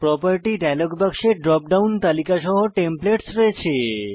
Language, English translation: Bengali, Property dialog box contains Templates with a drop down list